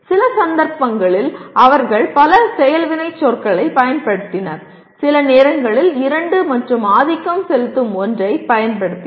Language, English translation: Tamil, In some cases they used multiple action verbs, sometimes two and dominantly one